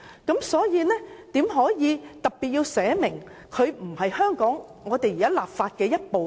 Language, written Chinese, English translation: Cantonese, 因此，怎可以特別訂明《合作安排》不屬香港法律的一部分？, Hence how will it be possible to specifically stipulate that the Co - operation Arrangement does not form part and parcel of the laws of Hong Kong?